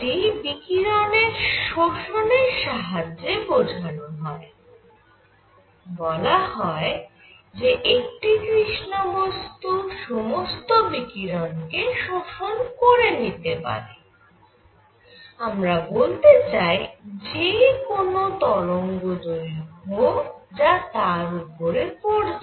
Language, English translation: Bengali, This is explained in terms of absorption of radiation which says that a black body absorbs all the radiation; and by that we mean any wavelength falling on it